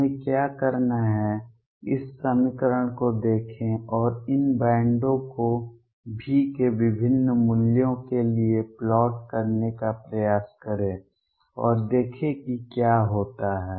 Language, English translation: Hindi, What our urge to do is look at this equation and try to plot these bands for different values of V and see what happens